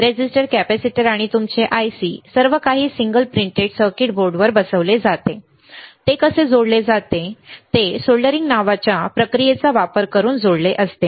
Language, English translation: Marathi, Resistors, capacitors and then your ICs everything mounted on single printed circuit board, how it is how it is connected is connected using a process called soldering